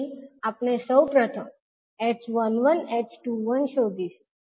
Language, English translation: Gujarati, So we will first determine the h11, h21